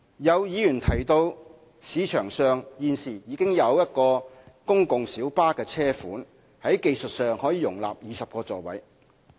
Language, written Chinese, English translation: Cantonese, 有議員提到，現時市場上已有一個公共小巴車款在技術上可容納20個座位。, Some Members have pointed out that a PLB model which can technically accommodate 20 seats is currently available in the market